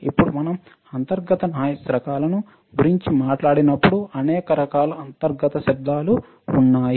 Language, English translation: Telugu, Now, when we talk about types of internal noise, then there are several type of internal noise